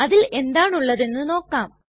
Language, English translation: Malayalam, Let us see what they contain